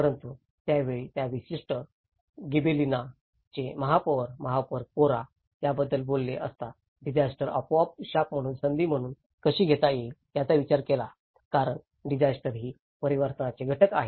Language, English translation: Marathi, But then at that time, the mayor of that particular Gibellina, mayor Corra he talked about, he thought about how disasters could be taken as an opportunity rather the curse because disasters are the agents of change